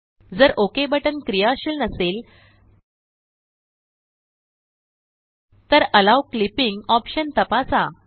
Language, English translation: Marathi, If the Ok button is not active, check the Allow Clipping option